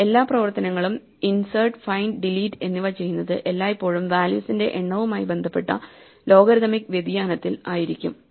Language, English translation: Malayalam, So, all the operations insert, find and delete they always be logarithmic respect to the number of values currently being maintained